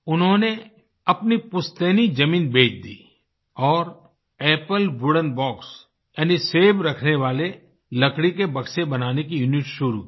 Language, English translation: Hindi, He sold his ancestral land and established a unit to manufacture Apple wooden boxes